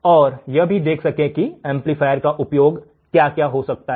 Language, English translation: Hindi, And also see how what is the application of this amplifiers all right